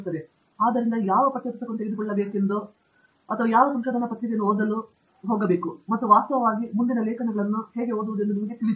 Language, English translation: Kannada, So, you really know which text book to pick up or which research paper to read, and in fact, how to read future papers